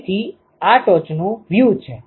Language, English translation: Gujarati, So, this is the top view